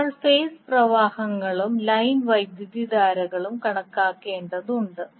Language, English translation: Malayalam, We need to calculate the phase currents and line currents